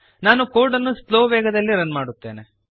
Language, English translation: Kannada, Let me run the code at slow speed